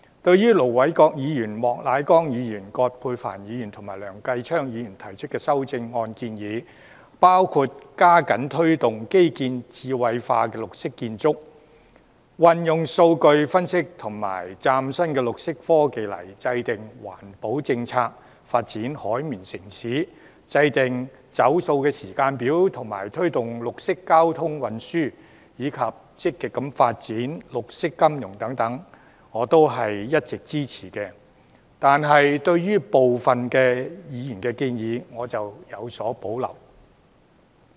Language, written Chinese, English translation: Cantonese, 對於盧偉國議員、莫乃光議員、葛珮帆議員及梁繼昌議員提出的修正案建議，包括加緊推動基建智慧化和綠色建築、運用數據分析及嶄新綠色科技來制訂環保政策；發展"海綿城市"、制訂"走塑"時間表及推動綠色交通運輸，以及積極發展綠色金融等，我都是一直支持的，但對於部分議員的建議，我則有所保留。, Concerning the amendments proposed by Ir Dr LO Wai - kwok Mr Charles Peter MOK Dr Elizabeth QUAT and Mr Kenneth LEUNG I have always supported those proposals such as stepping up the promotion of intellectualization of infrastructure and green architecture; using data analysis and new green technologies to formulate environmental protection policies; developing a sponge city; formulating a plastic - free timetable; promoting green modes of traffic and transport; and developing proactively green finance . However I have reservations about the proposals of some Members